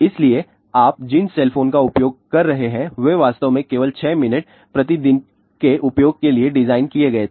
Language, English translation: Hindi, So, the cell phones which you people are using they were actually designed only for 6 minutes per day use